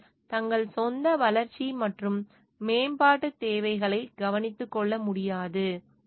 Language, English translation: Tamil, And they cannot take care for their own growth and development needs, and by looking into the needs and aspirations